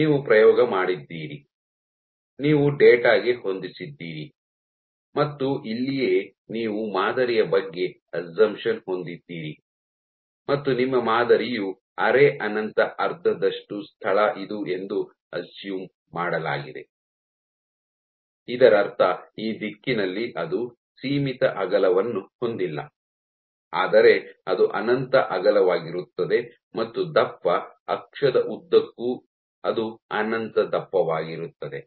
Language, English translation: Kannada, So, this is where you have to be vary about the assumptions of the model that which assumed that your sample is the semi infinite half space, which means that it does not have finite width in this direction, but it is infinitely wide and along the thickness axis also it is infinitely thick